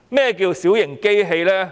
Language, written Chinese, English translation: Cantonese, 何謂小型機器？, What is minor plant?